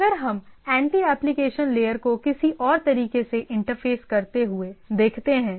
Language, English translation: Hindi, So, if we look at the anti application layer interfacing in some other way